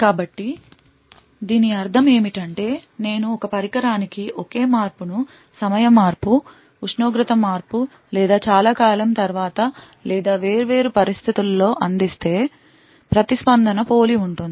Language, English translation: Telugu, So, what this means is that if I provide the same challenge to the same device with different conditions like change of time, change of temperature or after a long time or so on, the response is very much similar